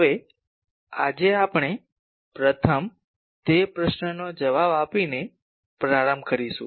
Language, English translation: Gujarati, Now, today we will first start with answering that question